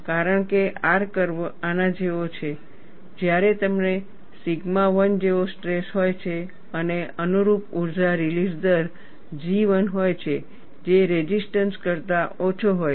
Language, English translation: Gujarati, Because R curve is steep like this, when you have a stress as sigma 1 and the corresponding energy release rate is G 1, which is less than the resistance